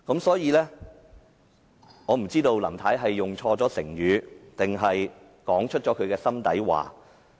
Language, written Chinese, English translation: Cantonese, 所以，我不知道林太是用錯了成語，還是說出心底話。, So I am not sure whether Mrs LAM has used a wrong expression or has spoken from the bottom of her heart